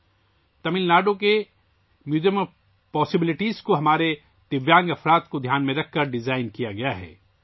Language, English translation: Urdu, Tamil Nadu's Museum of Possibilities has been designed keeping in mind our Divyang people